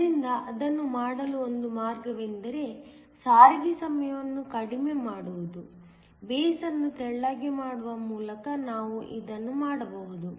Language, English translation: Kannada, So, one way to do that is to reduce the transit time, this you can do by making the base thinner